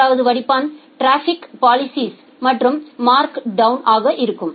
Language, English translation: Tamil, And the third filter is traffic policies and markdown